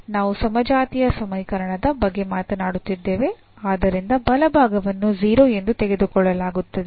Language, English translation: Kannada, So, indeed this is 0 here, we are talking about the homogeneous equation, so the right hand side will be taken as 0